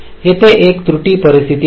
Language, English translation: Marathi, so there is an error situation here